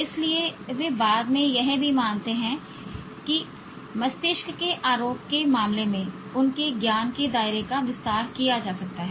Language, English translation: Hindi, So they also subsequently believe that their realm of knowledge in terms of brain accusation itself can be expanded